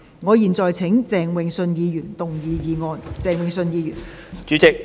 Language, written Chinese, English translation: Cantonese, 我現在請鄭泳舜議員動議議案。, I now call upon Mr Vincent CHENG to move the motion